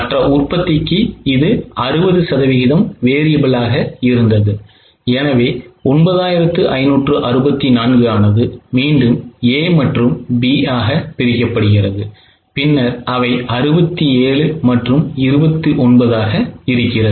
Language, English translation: Tamil, For other manufacturing 60% is variable, so 95 64, that 95 is again broken into A and B as 67 and 29